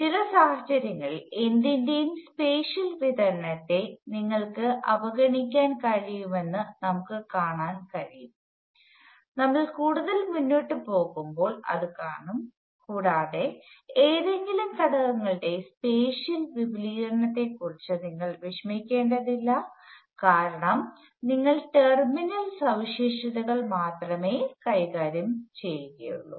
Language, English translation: Malayalam, Now it turns out that under certain circumstances, you can ignore the spatial distribution of anything that is as we will go further we will see that we will not worry about spatial extend of any component, we will deal with only the terminal characteristics